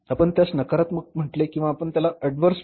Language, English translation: Marathi, You can call it as negative, you can call it as adverse variance